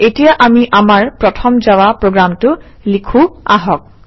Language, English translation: Assamese, Alright now let us write our first Java program